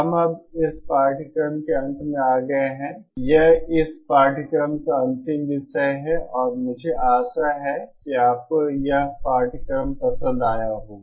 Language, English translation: Hindi, So I hope, so this is we have come now to the end of this course um, this is the last topic of this course and I hope you like this course